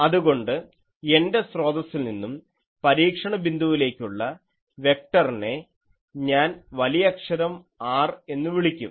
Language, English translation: Malayalam, So, my source to the observation point vector, let me call capital R